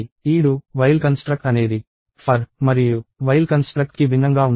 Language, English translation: Telugu, So, this do while construct is different from the for and while construct